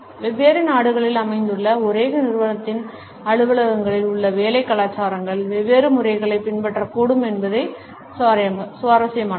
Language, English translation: Tamil, It is interesting to note that the work cultures in the offices of the same company, which are located in different countries, may follow different patterns